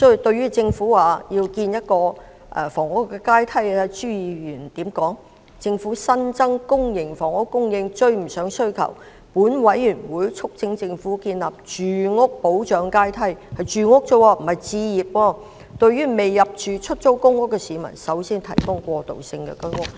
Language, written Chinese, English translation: Cantonese, 對於政府表示要建立房屋階梯，朱議員說："政府新增的公營房屋供應追不上需求，本委員會促請政府建立住屋保障階梯"——是住屋而已，不是置業——"對未入住出租公屋的市民優先提供過渡性公屋"。, Regarding the Governments plan to create a housing ladder Mr CHU said As the newly added public housing units lags behind demand this Council urges the Government to create a housing protection ladder―housing not home ownership―to accord priority to the provision of transitional public housing for members of the public who have yet been allocated public housing units